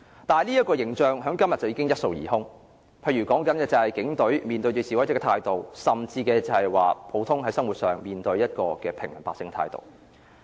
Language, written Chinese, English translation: Cantonese, 但這形象在今天已經一掃而空，例如說警隊面對示威者的態度，甚至是普通生活上面對平民百姓的態度。, However the Police Forces attitude towards the protestors or even their attitude towards the ordinary people in daily life has totally swept away their positive image